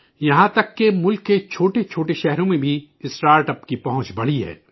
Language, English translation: Urdu, The reach of startups has increased even in small towns of the country